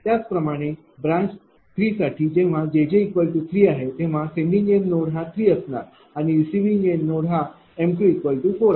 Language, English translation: Marathi, Similarly, for branch 3 when j j is equal to 3 sending end node will be 3 and receiving end node m 2 will be 4